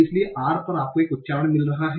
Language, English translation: Hindi, So on R you are getting an accent